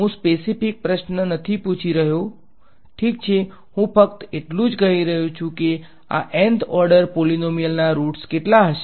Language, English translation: Gujarati, I am not asking a very specific question ok, I am just saying how many roots will there be of this Nth order polynomial